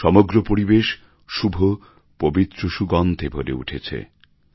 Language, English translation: Bengali, The whole environment is filled with sacred fragrance